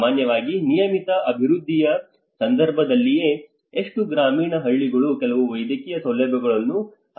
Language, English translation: Kannada, Normally in a regular development context itself how many of the rural villages do have some medical facilities or a good professionals